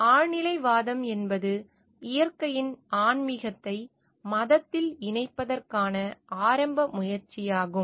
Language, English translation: Tamil, Transcendentalism is the earliest attempt to incorporate spirituality of nature in the religion